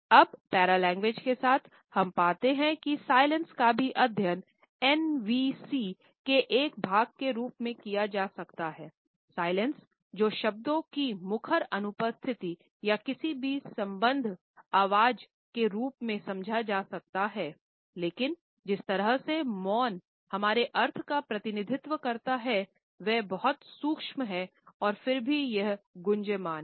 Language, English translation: Hindi, Silence can be understood as a vocal absence of words or any associated voice yet the way the silence represents our meanings is very subtle and yet it is resonant